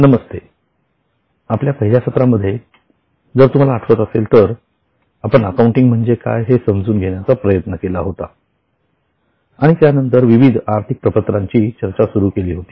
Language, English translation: Marathi, If you remember in our first session we had tried to understand what is accounting and then started discussion on financial statements